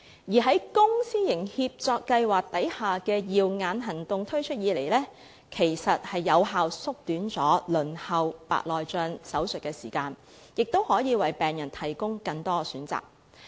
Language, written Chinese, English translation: Cantonese, 自公私營協作計劃下的"耀眼行動"推出以來，有效縮短了白內障手術的輪候時間，亦可以為病人提供更多選擇。, Since the Cataract Surgeries Programme was introduced under the public - private partnership programme it has effectively shortened the waiting time for cataract surgery and it can also provide patients with more choices